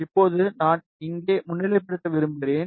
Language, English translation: Tamil, And now I just want to highlight here